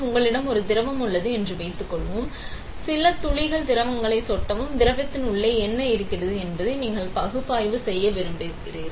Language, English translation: Tamil, Let us say you have a liquid, drops few drops of liquid and you want to analyse what is there inside the liquid